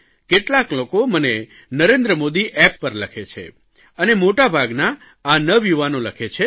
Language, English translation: Gujarati, If you write to me on my NarendraModiApp , I will send them to the right place